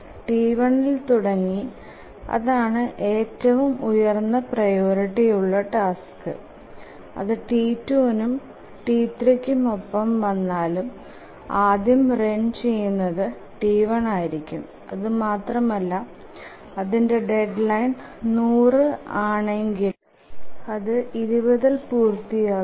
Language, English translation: Malayalam, T1 is the highest priority task and even if it occurs with T2, T3, T1 will run and it will complete by 20, whereas the deadline is 100